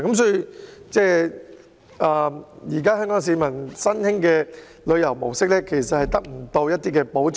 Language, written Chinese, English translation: Cantonese, 所以，香港市民的新興旅遊模式，無法得到保障。, Therefore Hong Kong people who adopt the new travel mode will not be protected